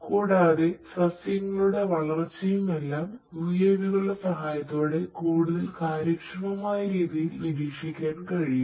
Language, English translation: Malayalam, And also the different plants that their growth of these plants all of these things can be monitored with the help of UAVs in a much more efficient manner